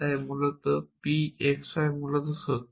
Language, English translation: Bengali, So that p x y